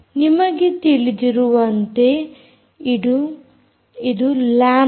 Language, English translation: Kannada, um, as you know, this is lambda